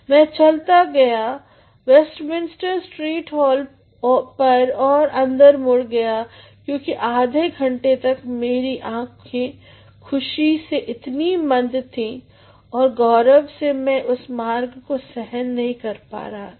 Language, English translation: Hindi, I went down the Westminster street hall and turned into it for half an hour because my eyes were so, dimmed with joy and pride that they could not bear the street